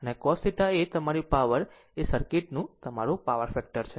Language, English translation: Gujarati, And cos theta is your power your power factor of the circuit